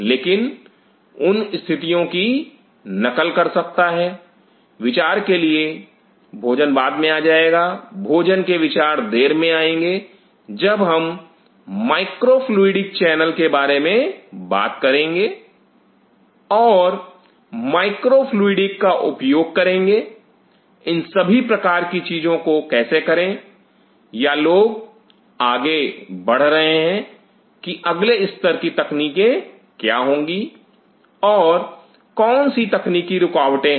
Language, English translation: Hindi, But could a mimic those conditions, food for thought will be coming later, once we will talk about this micro fluidic channel and use of micro fluidics how to do all the kind of things or people are progressing what are the next level of technologies and what are the technological blockages